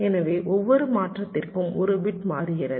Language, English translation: Tamil, so for every transition one bit is changing